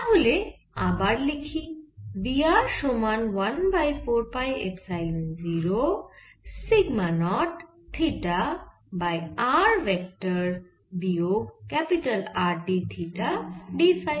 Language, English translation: Bengali, so again, we are equal to one over four pi epsilon naught sigma naught theta over vector r minus capital r, d theta, d phi